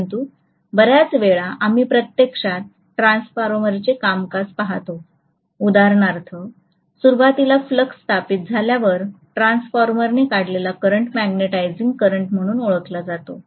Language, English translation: Marathi, But most of the times, when we actually look at the transformer functioning, for example initially when the flux is established, the current drawn by the transformer is known as the magnetizing current